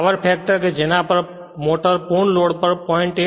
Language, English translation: Gujarati, The power factor at which the motor operates at full load low about 0